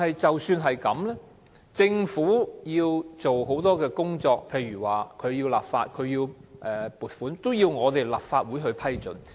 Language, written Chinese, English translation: Cantonese, 儘管如此，政府有很多工作，例如立法及撥款均要得到立法會的批准。, Having said that there are many cases where the Government has to seek the approval of the Legislative Council for example the enactment of laws or funding proposals